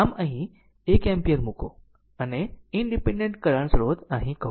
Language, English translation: Gujarati, So, put 1 ampere here what you call and the independent current source here